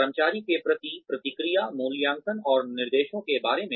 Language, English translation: Hindi, Feedback to the employee, regarding appraisal and directions